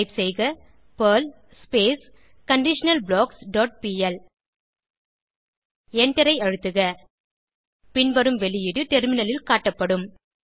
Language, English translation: Tamil, Type perl conditionalBlocks dot pl and press Enter The following output will be shown on terminal